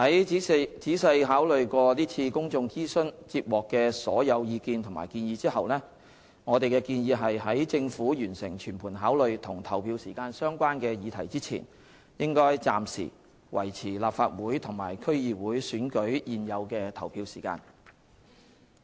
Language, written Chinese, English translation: Cantonese, 在仔細考慮在是次公眾諮詢接獲的所有意見及建議後，我們建議在政府完成全盤考慮與投票時間相關的議題之前，應暫時維持立法會和區議會選舉現有的投票時間。, After carefully considering all the views and recommendations received for the public consultation we proposed that the present polling hours of Legislative Council and DC elections should be maintained for the time being before the Government completes a holistic review on other issues related to polling hours